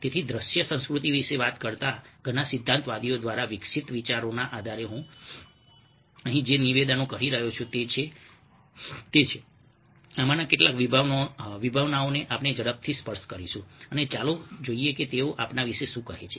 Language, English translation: Gujarati, so some of the statements that i am making over here, based on the ideas evolved a many theorists who talk about visual culture, are of some of this concepts we will just quickly touch upon and lets see what they tell us about ourselves